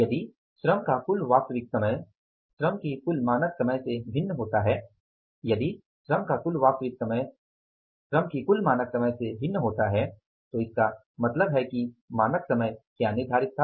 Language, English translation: Hindi, If the total actual time of the labor differs from the total standard time of the labor, it means what was the standard time decided was that is not missed with regard to the actual